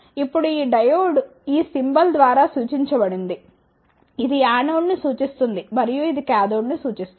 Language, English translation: Telugu, Now, this diode represented by this symbol this represents the anode and this represents the cathode